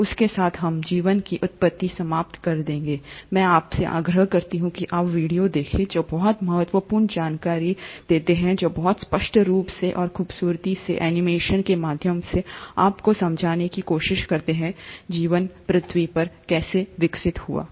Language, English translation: Hindi, So with that, we’ll end origin of life, I would urge you to go through some of the very informative videos, which very explicitly and beautifully through animation also try to explain you how life must have evolved on earth